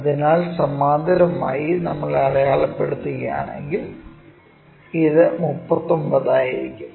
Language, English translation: Malayalam, So, parallel to that if we are marking this will be 39